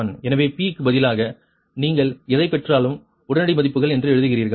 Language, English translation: Tamil, so instead of instead of p, you write that immediate values, whatever you are obtains